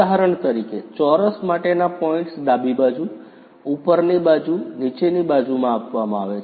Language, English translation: Gujarati, For example, points for a square are given in terms of left, up, down